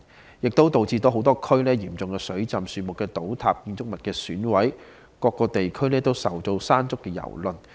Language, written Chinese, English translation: Cantonese, 此外，超級颱風亦導致多區出現嚴重水浸，樹木倒塌，建築物損毀，很多地區均受到"山竹"的蹂躪。, In addition super typhoon Mangkhut also wreaked havoc in many areas such as serious flooding tree collapse and building destruction